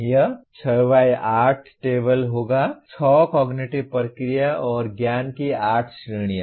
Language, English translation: Hindi, It will be 6 by 8 table; 6 cognitive process and 8 categories of knowledge